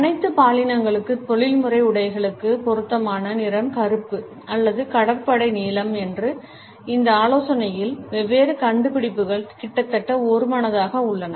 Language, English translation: Tamil, Different findings are almost unanimous in this suggestion that the appropriate color for the professional attires for all genders is either black or navy blue